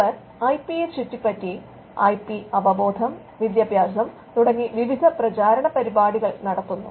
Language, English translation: Malayalam, Now they conduct various campaigns an advocacy around IP what we call IP awareness and education